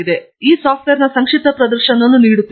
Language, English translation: Kannada, I will be actually doing a brief demonstration of this software